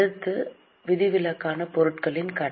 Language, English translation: Tamil, Next is exceptional items credit